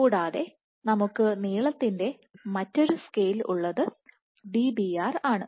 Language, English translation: Malayalam, And what we have another length scale is Dbr